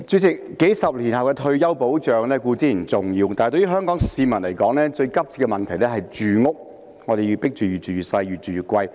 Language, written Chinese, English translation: Cantonese, 主席，數十年後的退休保障固然重要，但對於香港市民來說，最急切的問題是住屋，我們被迫"越住越細，越住越貴"。, President retirement protection several decades from now is of course important but the most urgent problem to Hong Kong people is housing . We are forced to live in dwellings that keep shrinking while the prices we pay for them keep rising